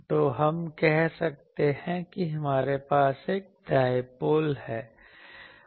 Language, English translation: Hindi, So, let us say that we have a dipole